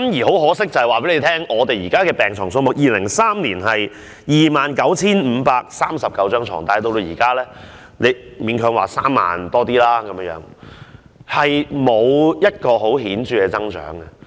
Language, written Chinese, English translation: Cantonese, 很可惜，我要告訴大家 ，2003 年的病床數目是 29,539 張，但現在只是勉強有3萬多張，沒有顯著增長。, Regrettably I have to tell Members that there were 29 539 beds in 2003 and now there are some 30 000 - odd beds . There was no major increase in hospital beds